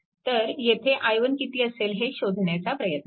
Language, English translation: Marathi, So, then what will be i 1